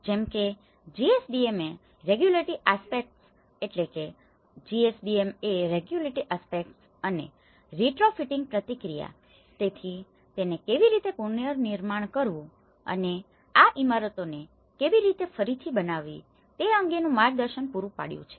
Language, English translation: Gujarati, The GSDMA regulatory aspects, the retrofitting process, so it has looked at providing them guidance in how to reconstruct and how to retrofit these buildings